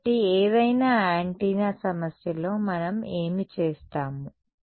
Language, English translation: Telugu, So, in any antenna problem this is going to be what we will do